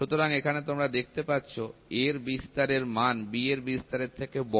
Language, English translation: Bengali, So, here you see amplitude A is larger than amplitude B